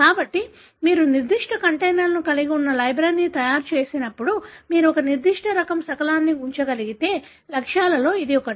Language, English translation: Telugu, So, that is exactly one of the goals when you make a library that have certain containers into which you are able to put one particular type of fragment